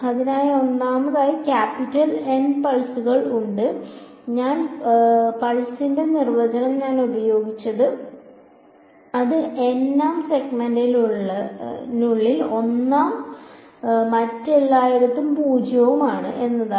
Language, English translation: Malayalam, So, first of all there are capital N pulses that I have used the definition of this pulse is that it is 1 inside the nth segment and 0 everywhere else right